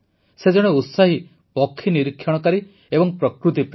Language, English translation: Odia, He is a passionate bird watcher and a nature lover